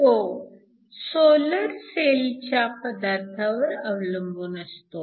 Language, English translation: Marathi, So, light falls on the solar cell